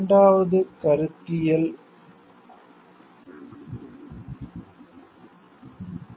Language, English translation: Tamil, Second the conceptual issues